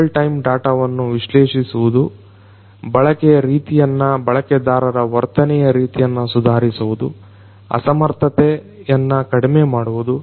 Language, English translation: Kannada, Analyzing real time data, improving the usage pattern, behavioral pattern of users, inefficiency, reduction of inefficiency